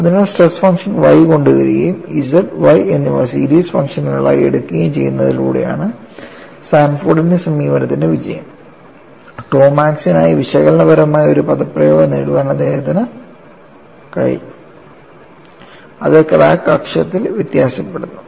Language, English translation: Malayalam, So, the success of Sanford's approach is by bringing the stress function Y, and also taking both the Z and Y as series functions, he was able to get analytically, an expression for tau max, which varies along the crack axis